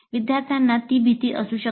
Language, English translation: Marathi, Students may have that fear